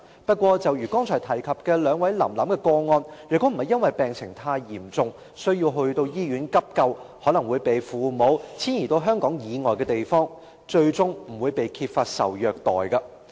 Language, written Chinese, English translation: Cantonese, 不過，正如剛才提及"林林"及"臨臨"的個案，受虐的兒童若不是因為病情太嚴重，需要送到醫院急救，便可能會被父母遷移至香港以外的地方，最終不會揭發受虐待。, However as shown in the cases of the two Lam Lam had they not been sent to the hospital for emergency treatment due to their serious conditions children falling victim to abuse would probably be moved outside Hong Kong by their parents and their abuse may not be exposed eventually